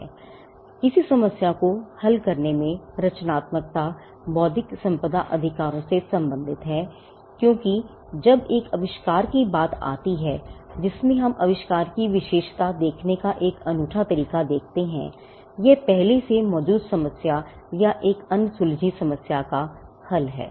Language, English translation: Hindi, Now, creativity in solving a problem is again what we call creativity as problem solving as it is relevance to intellectual property rights, because when it comes to an invention one of the ways in which we attribute of invention has a unique is by looking at whether it is solved preexisting problem or an unsold problem